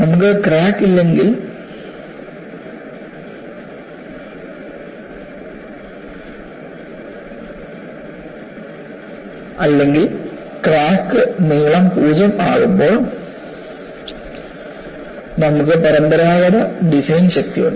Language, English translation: Malayalam, So, when you have no crack or crack length is 0, you have the conventional design strength